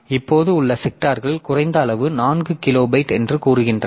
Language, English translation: Tamil, Now this sectors that we have so they are of limited size say 4 kilobyte